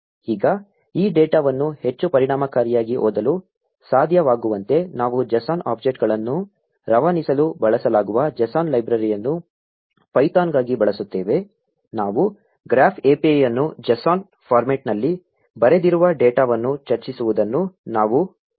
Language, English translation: Kannada, Now to be able to read this data more efficiently, we will make use of the JSON library for python, which is used to pass JSON objects, if we remember we discuss that the graph API written data in JSON format